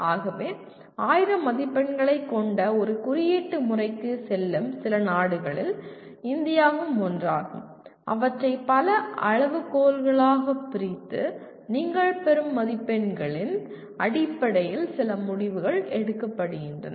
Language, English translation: Tamil, So possibly India is one of the few countries which goes for this kind of a marking system of having 1000 marks, dividing them into several criteria and based on the number of marks that you get there is some decisions get taken